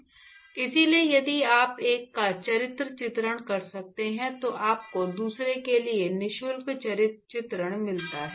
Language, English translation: Hindi, So, if you can characterize one, you get the characterization for the other for free